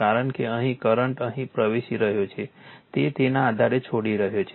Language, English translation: Gujarati, Because current here is entering here it is leaving so, based on that